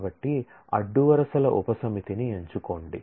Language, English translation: Telugu, So, select chooses a subset of the rows